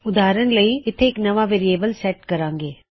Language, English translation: Punjabi, For example, lets set a new variable here